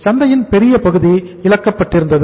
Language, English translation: Tamil, Larger chunk of the market is lost